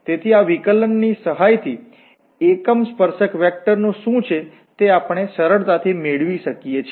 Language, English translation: Gujarati, So with the help of this the derivative, we can easily get what is the unit tangent vector